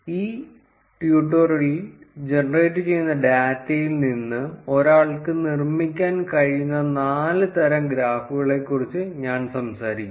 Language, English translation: Malayalam, In this tutorial, I will talk about four types of graphs that one can build from the data that is being generated